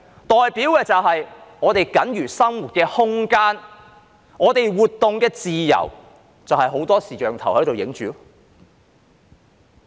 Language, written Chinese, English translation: Cantonese, 代表我們僅餘的生活空間和活動自由被很多視像鏡頭拍攝着。, It means that what little remains of our living space and freedom of movement is being filmed by many video cameras